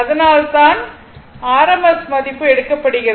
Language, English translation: Tamil, So, when you do it this thing in rms value